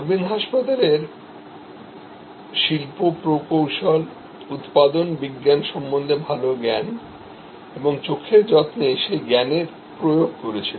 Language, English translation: Bengali, Aravind hospital introduced industrial engineering, good understanding of manufacturing science and deployment of that understanding in eye care